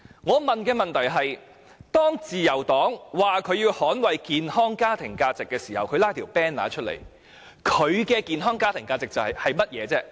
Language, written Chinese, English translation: Cantonese, 我的問題是，自由黨拉起橫額說要捍衞健康家庭價值，他們所指的健康家庭價值是甚麼？, My question is What do the healthy family values that the Liberal Party hoisted banners to defend refer to?